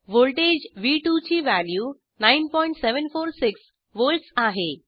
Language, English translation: Marathi, Value of voltage v2 is 9.746 volts